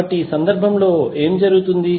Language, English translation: Telugu, So, what will happen in this case